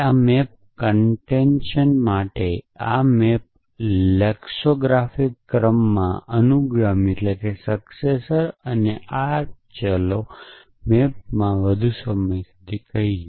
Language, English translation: Gujarati, This maps to concatenation, this maps to successor in lexicographic order and this let us say maps to longer than